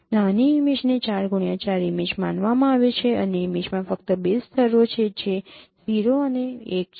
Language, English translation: Gujarati, Consider consider a small image, a 4 cross 4 image and the image has only 2 levels which is 0 and 1